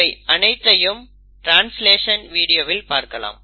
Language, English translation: Tamil, Now we look at all this in translational video